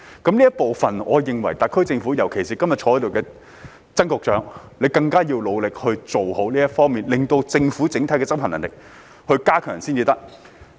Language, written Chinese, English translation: Cantonese, 在這方面，我認為特區政府，特別是今天在席的曾局長，更要努力加強政府的執行能力。, In this connection I think that the SAR Government especially Secretary Erick TSANG who is present today should make more efforts to strengthen the Governments enforcement capability